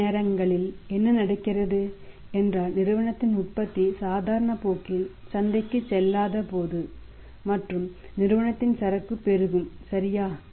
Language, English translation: Tamil, Sometimes what happens that firms production is not going to the market in the normal course and inventory is of the firm amounting right